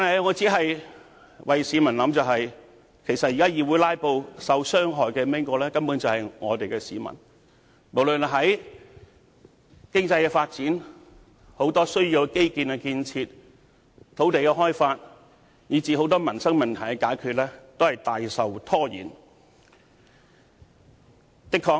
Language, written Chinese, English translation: Cantonese, 我只不過是為市民設想，因為現時議會"拉布"，受傷害的根本是市民，因為無論經濟發展、基建建設、土地開發以至很多民生問題均大受阻延。, I simply have taken the well - being of the public into consideration . It is basically the public who will fall victim to the current filibustering in the Council . Economic development infrastructure construction land development and many livelihood issues have been substantially delayed